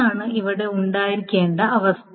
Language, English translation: Malayalam, This is a condition that must be then